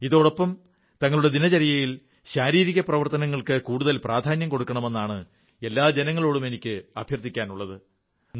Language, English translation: Malayalam, Also concomitantly, I appeal to all countrymen to promote more physical activity in their daily routine